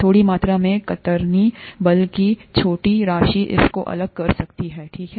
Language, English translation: Hindi, A small amount of, smaller amount of shear force can tear this apart compared to this, okay